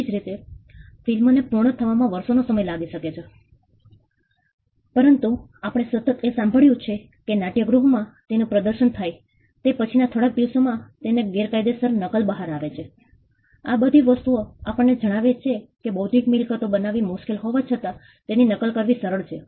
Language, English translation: Gujarati, Similarly, a movie may take months or years of effort to complete, but we hear constantly about pirated versions coming out within just few days of screening of the movie in the theaters; all these things tell us that though it is hard to create an intellectual property it is easy to replicate